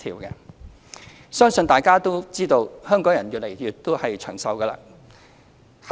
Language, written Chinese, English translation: Cantonese, 我相信大家也知道，香港人越來越長壽。, I believe Members all know that the life expectancy of the people of Hong Kong is increasing